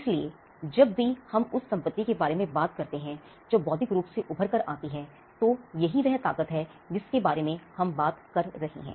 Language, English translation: Hindi, So, whenever we talk about the property that comes out and intellectual effort, it is this strength that we are talking about